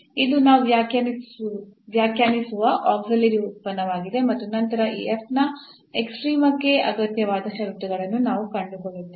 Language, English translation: Kannada, So, this is the auxiliary function we define and then we find the necessary conditions on for the extrema of this F